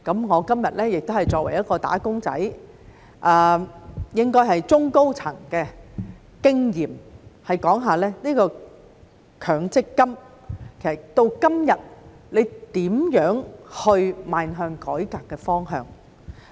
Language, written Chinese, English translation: Cantonese, 我今天也是作為"打工仔"，應該是從中高層的經驗說說強積金到今天應如何邁向改革的方向。, Today as a wage earner myself or from the experience of someone at the middle to senior level I would like to talk about how MPF should move towards the direction of reform